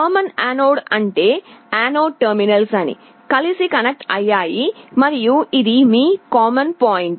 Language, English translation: Telugu, Common anode means the anode terminals are all connected together and this is your common point